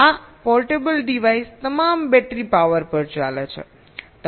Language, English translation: Gujarati, this portable devices all run on battery power